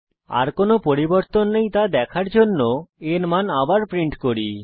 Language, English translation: Bengali, We again print as value to see that there are no further changes